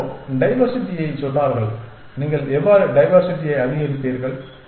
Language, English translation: Tamil, Somebody had said diversity how do you increase diversity